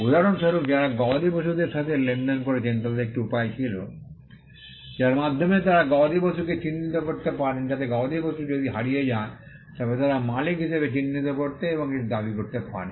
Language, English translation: Bengali, For instance, people who dealt with cattle had a way by which they could earmark the cattle so that if the cattle got lost, they could identify that as the owners and claim it back